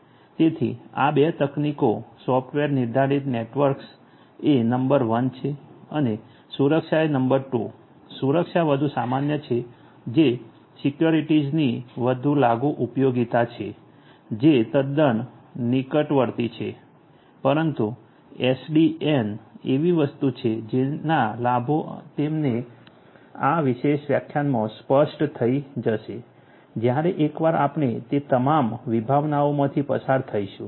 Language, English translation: Gujarati, So, these 2 technologies are number 1 the software defined networks and number 2 the security; security is more common which is more applicable usefulness of securities quite imminent, but SDN is something whose benefits will be clearer to you in this particular lecture once we go through all the different concepts that we are going to